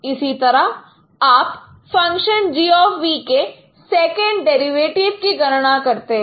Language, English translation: Hindi, Similarly you compute second derivative of function gb